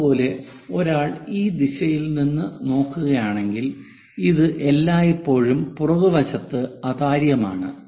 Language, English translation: Malayalam, Similarly, if one is looking from this direction, this one always be opaque on the back side, but this one is transparent wall